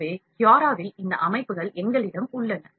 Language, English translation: Tamil, So, in the Cura, we have these settings